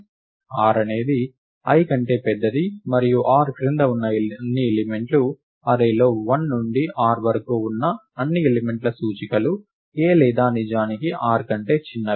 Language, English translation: Telugu, r is larger than i and all the elements below r, all the elements whose indices the range 1 to r in the array a or indeed smaller than r